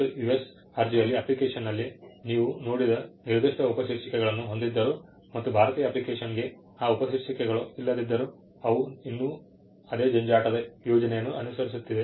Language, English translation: Kannada, What you saw in the US application which had particular subheadings though the Indian application do not have those subheadings, nevertheless they still follow the same scream scheme